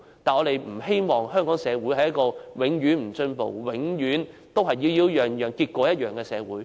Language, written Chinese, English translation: Cantonese, 我們不希望香港社會是一個永不進步、永遠都是"擾擾攘攘，結果一樣"的社會。, We do not wish Hong Kong society to be one which never makes any progress and always gets the same result after much ado